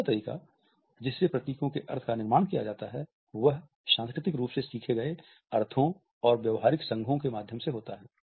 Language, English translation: Hindi, The second way in which meaning of an emblem is constructed is through culturally learnt meanings and behavioral associations